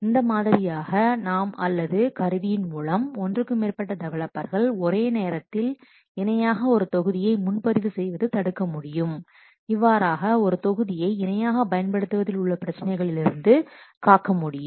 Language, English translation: Tamil, So, in this way we can prevent or the tool can prevent more than one developer to simultaneously reserved a module, thus the problems which are associated with the concurrent assets that can be taken care of